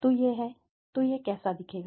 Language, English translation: Hindi, So, this is how it would look like